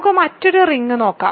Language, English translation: Malayalam, So, let us look at another ring